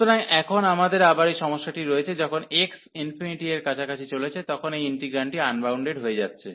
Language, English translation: Bengali, So, now we have this problem again, when x is approaching to infinity, this integrand is approaching to is getting unbounded